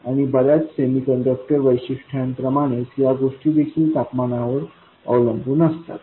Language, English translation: Marathi, And also, like many semiconductor characteristics, these things are a strong functions of temperature